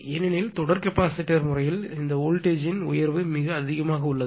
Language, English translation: Tamil, But not like series capacitor because series capacitor case this voltage rise is very high right